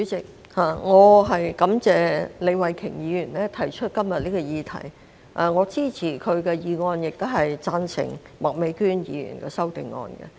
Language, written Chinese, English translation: Cantonese, 主席，感謝李慧琼議員提出今天這項議題，我支持她的議案，亦贊成麥美娟議員的修正案。, President I thank Ms Starry LEE for moving this motion today . I support her motion and also Ms Alice MAKs amendment